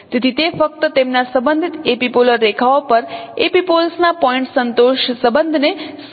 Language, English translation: Gujarati, So it is just denoting the point contentment relationship of epipoles on their respective epipolar lines